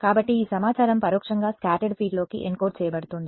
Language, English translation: Telugu, So, this information indirectly is being encoded into the scattered field